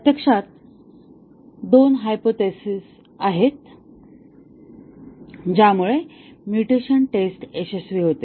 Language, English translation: Marathi, There are actually two hypothesis which leads to the success of the mutation testing